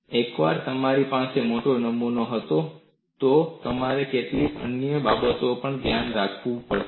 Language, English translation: Gujarati, Once you have a larger specimen, you will also have to look at certain other considerations